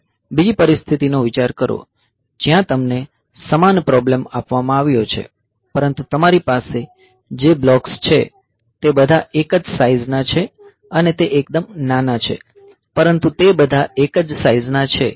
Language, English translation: Gujarati, Now, consider the other situation, where the same problem is given to you, but the blocks that you have, they are all of a single size and they are quite small, but they are of all single size